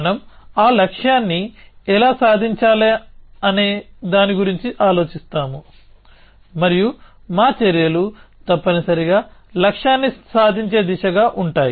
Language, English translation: Telugu, We think about how to achieve that goal and our actions are oriented towards that achieving the goal essentially